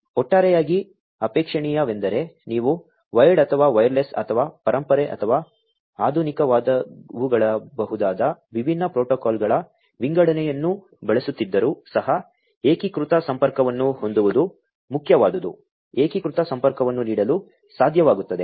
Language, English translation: Kannada, Overall what is desirable is to have unified connectivity even if you are using an assortment of different protocols, which may be wired or, wireless or which could be the legacy ones or, the modern ones, what is important is to be able to offer unified connectivity, unified connectivity